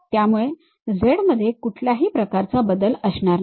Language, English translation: Marathi, So, there will not be any z variation